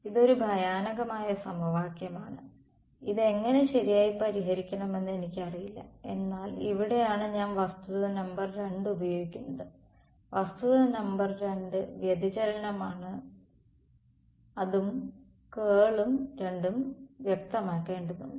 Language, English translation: Malayalam, This is a horrendous equation I do not know how to solve it right, but here is where I use fact number 2; fact number 2 is divergence and curl both have to be specified